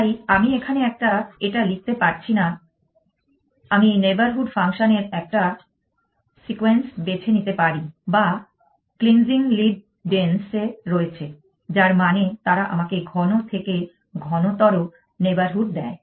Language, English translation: Bengali, So, I cannot write this here, so I can choose a sequence of neighborhood functions, which are in cleansing lead dense, which means they give me denser and denser neighborhood